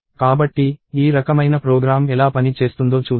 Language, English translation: Telugu, So, let us see how a program of this kind will work